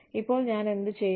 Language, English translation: Malayalam, Now, what do i do